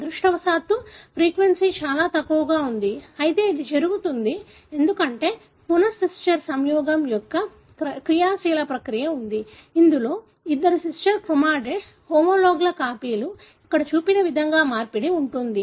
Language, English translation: Telugu, Fortunately the frequency is extremely low, but it happens because there is an active process of recombination, wherein the two sister chromatids, the copies of the homologues, wherein there is an exchange like what is shown here